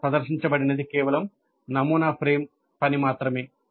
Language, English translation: Telugu, So what is presented here is just a sample framework only